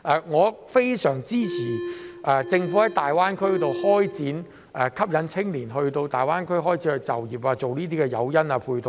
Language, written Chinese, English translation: Cantonese, 我非常支持政府在大灣區開展吸引青年人到大灣區就業的誘因和配套。, I very much support the Governments initiative to attract young people to work in the Greater Bay Area by offering incentives and support measures